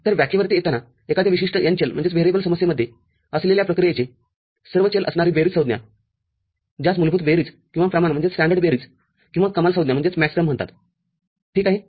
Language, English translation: Marathi, So, coming to the definition, sum terms containing all variables of a function which is there in a particular n variable problem, so that is called fundamental sum or standard sum or Maxterm ok